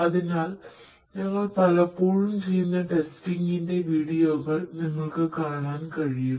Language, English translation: Malayalam, So, you would be able to see different videos of testing that we often do